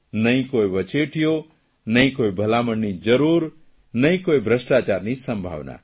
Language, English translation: Gujarati, No middlemen nor any recommendation, nor any possibility of corruption